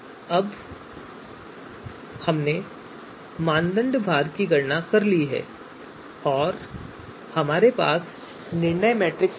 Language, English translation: Hindi, Now we have the now we have computed the criteria weights also and we have you know decision matrix also